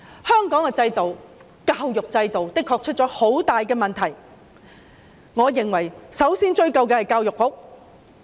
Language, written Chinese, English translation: Cantonese, 香港的教育制度的確出現了很大問題，我認為首先要追究教育局。, There must be some problems with the education system of Hong Kong and the Education Bureau should be the first to be held accountable